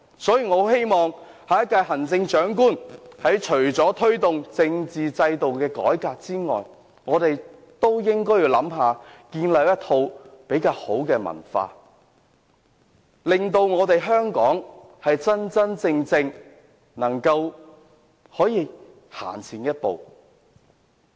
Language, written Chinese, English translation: Cantonese, 所以，我希望下一屆行政長官除了推動政府制度改革外，還要考慮建立一套比較好的文化，令香港能夠真正走前一步。, Hence I hope that besides seeking to promote the reform of our governmental systems the next Chief Executive can also consider how best to nurture a more wholesome political culture so as to enable Hong Kong to really take a step forward